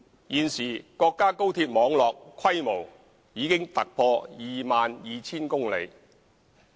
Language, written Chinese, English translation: Cantonese, 現時國家高鐵網絡規模已突破 22,000 公里。, At present the high - speed rail network in the country has already surpassed 22 000 km in length